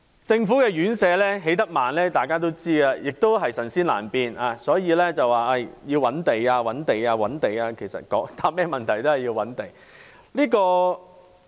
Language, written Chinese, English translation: Cantonese, 政府院舍興建緩慢，人所共知，也是"神仙難變"，所以要覓地、覓地、覓地，其實要回答任何問題都必須覓地。, It is well known that the progress of the construction of Governments residential care homes for the elderly is very slow and even a deity cannot resolve the situation . What we need is land . Again and again land supply is the key to resolve many issues